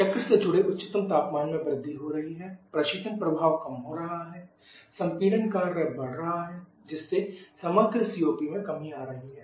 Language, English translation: Hindi, The highest temperature associate the cycle is increasing refrigeration effect is decreasing compression work is increasing lead a reduction to overall COP